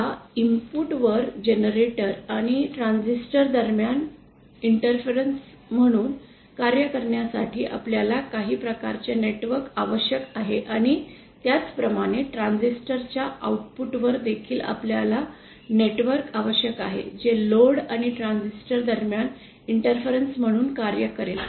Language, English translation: Marathi, Now, at the input, therefore we need some kind of network to act as an interface between the generator and the transistor and similarly at the output of the transistor also, we need a network which will act as an interface between the load and the transistor